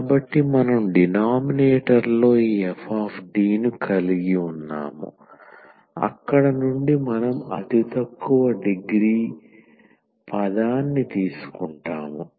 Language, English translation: Telugu, So, we have in the denominator this F D from there we will take the lowest degree term